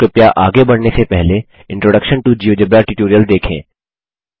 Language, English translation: Hindi, If not, please go through the Introduction to Geogebra tutorial before proceeding further